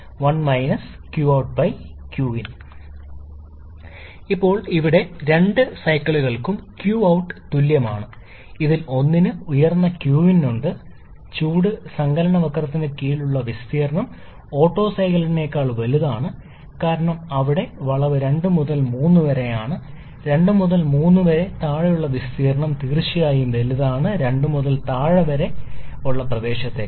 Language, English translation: Malayalam, Now, here q out is same for both the cycles, which one is having higher q in, which area under the heat addition curve is greater for the Otto cycle because there the heat addition curve is 2 to 3, area under 2 to 3 is definitely greater than the area under 2 to 3 prime